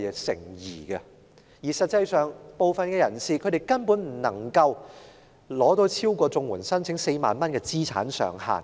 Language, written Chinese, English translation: Cantonese, 實際上，部分人士所獲取的金額根本不會超過申請綜援的4萬元資產上限。, In fact the payment that some of them receive actually will not exceed the asset limit of 40,000 for CSSA applications